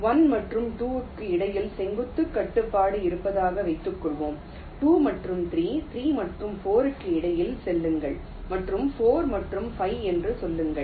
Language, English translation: Tamil, suppose we have a vertical constraint between one and two, say between two and three, three and four and say four and five